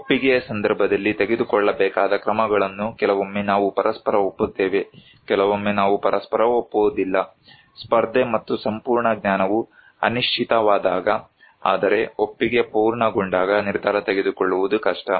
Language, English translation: Kannada, In case of consent, that is what actions to be taken is sometimes we agreed with each other, sometimes we do not agree with each other so, contested and complete, when knowledge is uncertain, but consent is complete, decision making is difficult